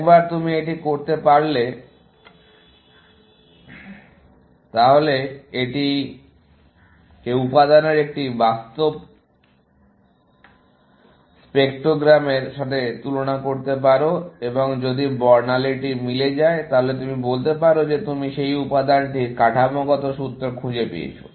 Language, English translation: Bengali, Once you can do that, you can compare it with a real spectrogram of the material, and if the spectrogram matches, then you can say that you have found the structural formula for that material